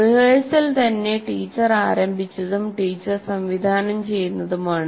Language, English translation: Malayalam, So, rehearsal itself is teacher initiated and teacher directed